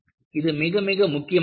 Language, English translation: Tamil, And this is very very important